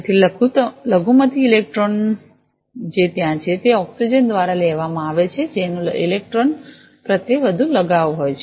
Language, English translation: Gujarati, So, the minority electrons that are there, those are taken up by the oxygen which have higher affinity towards the electron